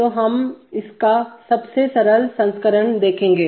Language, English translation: Hindi, So we will see its simplest version